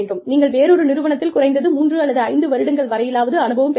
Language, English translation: Tamil, You are required to gain, at least 3 to 5 years of experience, in another organization